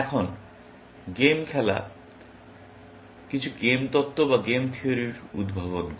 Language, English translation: Bengali, Now, game playing derives some game theory